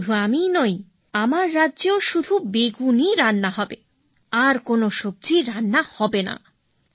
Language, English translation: Bengali, "And not only myself, in my kingdom too, only brinjal will be cooked and no other vegetable will be cooked